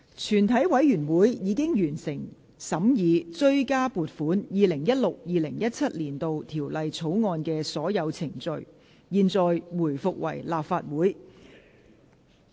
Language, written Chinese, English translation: Cantonese, 全體委員會已完成審議《追加撥款條例草案》的所有程序。現在回復為立法會。, All the proceedings of the Supplementary Appropriation 2016 - 2017 Bill have been concluded in committee of the whole Council